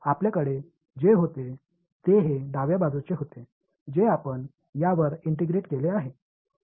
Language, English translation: Marathi, So, what we had, this was the left hand side right which we had integrated over this